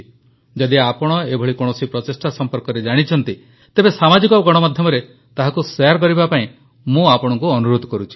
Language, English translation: Odia, If you are aware of other such initiatives, I urge you to certainly share that on social media